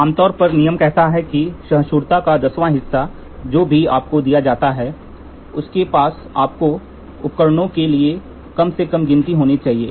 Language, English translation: Hindi, The thumb rule says one tenth of the tolerance whatever is given you should have the least count for your equipment